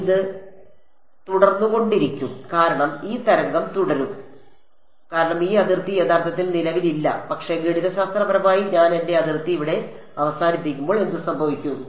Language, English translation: Malayalam, It will keep going this wave will keep going because this boundary does not actually exist, but mathematically when I end my boundary over here what will happen